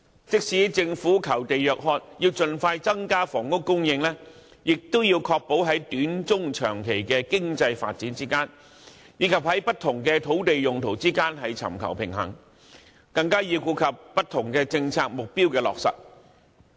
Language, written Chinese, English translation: Cantonese, 即使政府求地若渴，要盡快增加房屋供應，亦要確保在短、中、長期經濟發展之間，以及在不同土地用途之間尋求平衡，更要顧及不同政策目標的落實。, Although the Government is craving for land and wants to increase housing supply as soon as possible it must ensure that the right balance is achieved among different land uses to serve our short - medium - and long - term economic development with due regard given to the implementation of various policy objectives